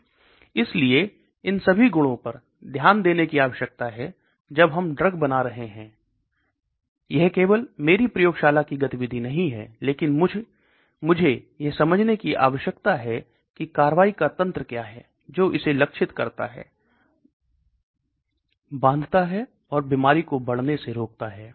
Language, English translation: Hindi, So all these properties need to be looked at when we are designer drugs, it is not only the activity in my lab, but I need to understand what is the mechanism of action, which target it goes and binds to, and prevents the disease progression